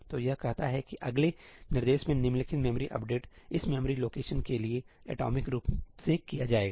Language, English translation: Hindi, So, it says that the following memory update in the next instruction will be performed atomically for this memory location